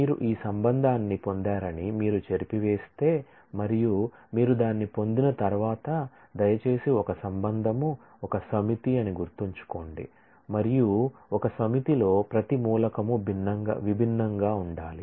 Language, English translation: Telugu, If you erase that you get this relation and once you get that, please recall that a relation is a set and in a set every element has to be distinct